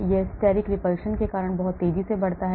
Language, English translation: Hindi, it rises very steeply because of steric repulsion